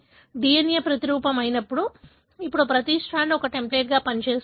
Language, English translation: Telugu, When the DNA replicates, now each strand serves as a template